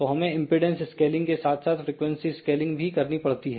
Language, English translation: Hindi, So, we have to do the impedance scaling as well as frequency scaling